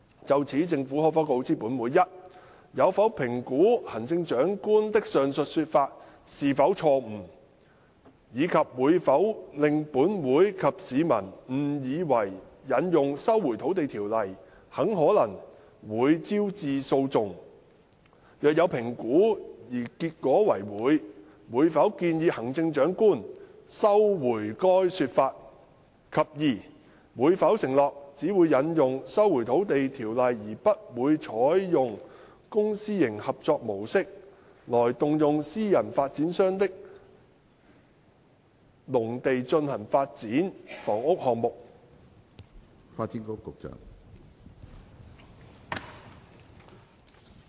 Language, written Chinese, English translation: Cantonese, 就此，政府可否告知本會：一有否評估行政長官的上述說法是否錯誤，以及會否令本會及市民誤以為引用《收回土地條例》很可能會招致訴訟；若有評估而結果為會，會否建議行政長官收回該說法；及二會否承諾只會引用《收回土地條例》而不會採用公私營合作模式，來動用私人發展商的農地進行發展房屋項目？, In this connection will the Government inform this Council 1 whether it has assessed if CEs aforesaid statement is erroneous and if it will mislead this Council and members of the public into believing that invocation of the Lands Resumption Ordinance will very likely give rise to litigations; if it has assessed and the outcome is in the affirmative whether it will advise CE to rescind that statement; and 2 whether it will undertake that it will only invoke the Lands Resumption Ordinance and not adopt the public - private partnership approach in order to tap into private developers agricultural lands for carrying out housing development projects?